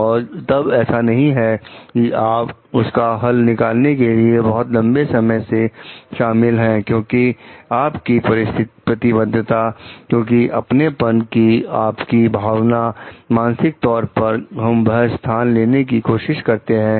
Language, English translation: Hindi, And then it does not like if you are involved with a solution for too long because of the sense of because of your commitment, because of the sense of ownership, mentally we take to take tend to take a position for it